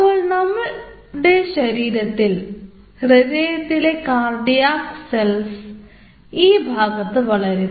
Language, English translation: Malayalam, so in our body, or this heart, there are heart, cardiac cells growing in that location